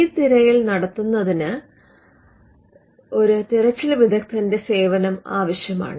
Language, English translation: Malayalam, And this search is done by the searcher